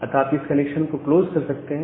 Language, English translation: Hindi, So, you can close this particular connection